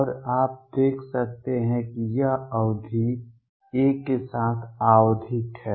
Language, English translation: Hindi, And you can see this is periodic with period a